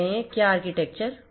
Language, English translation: Hindi, Which architecture will be followed